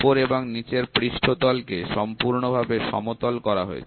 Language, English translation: Bengali, The top surface and the bottom surface are completely made flat